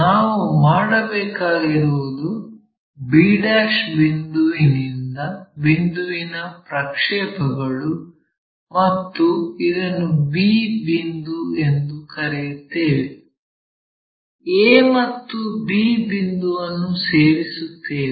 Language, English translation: Kannada, So, what we have to do is project this one point b ' make a projection call this point b, join a and b